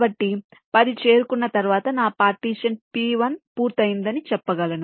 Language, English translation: Telugu, so once this ten is reached, i can say that my partition p one is done